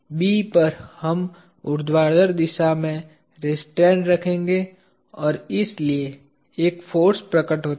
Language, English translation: Hindi, At B we will have a restraint in the vertical direction and therefore, a force appears